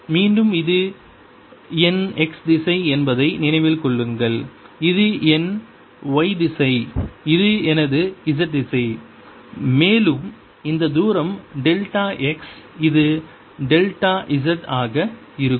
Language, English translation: Tamil, again, remember, this is my x direction, this is my y direction, this is my z direction and this distance is delta x